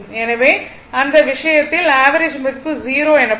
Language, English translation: Tamil, So, in that case you are what you call the average value will be 0